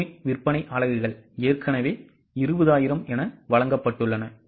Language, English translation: Tamil, You need sale units are already given which is 20,000